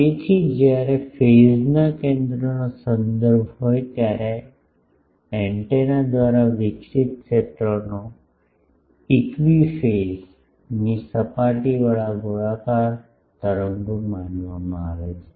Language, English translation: Gujarati, So, when reference to the phase center the fields radiated by the antenna are considered to be spherical waves with equi phase surfaces